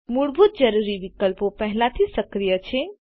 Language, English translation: Gujarati, The basic required options are already activated by default